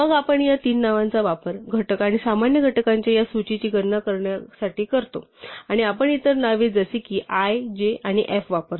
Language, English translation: Marathi, Then we use these three names to compute this list of factors and common factors and we use other names like i, j and f